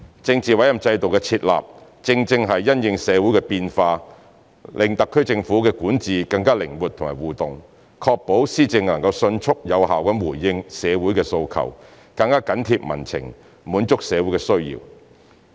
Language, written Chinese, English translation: Cantonese, 政治委任制度的設立，正正是因應社會的變化，讓特區政府的管治更靈活和互動，確保施政能迅速有效回應社會訴求，更緊貼民情，滿足社會需要。, The purpose of implementing the political appointment system is to respond to the changes in society so as to allow the SAR Government to have more flexibility to interact with society in its governance and ensure Government policies to promptly and effectively respond to demands in community to be more responsive to public sentiments and to meet the needs of community